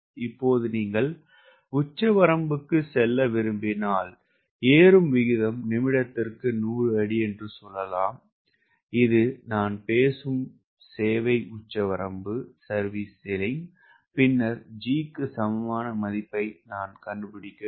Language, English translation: Tamil, right now, if you want to go for ceiling they say rate of climb is hundred feet per minute, which i am talking about, service ceiling then i have to find out the equivalent value of g